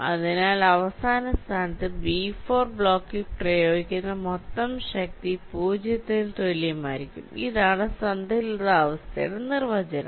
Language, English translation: Malayalam, so in the final position, the total force exerted on the block b four will be equal to zero